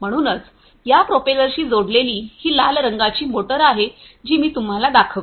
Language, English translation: Marathi, So, connected to these propellers are these motors the red coloured ones that I showed you